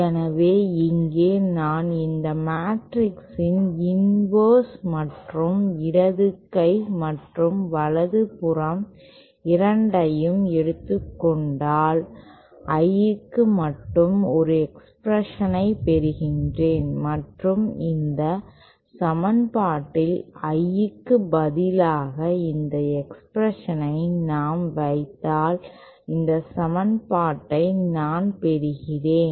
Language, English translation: Tamil, So here if I take the inverse of this matrix and both the left hand and right hand side then I get an expression only for I and if I substitute that expression for I in this equation then I get this equation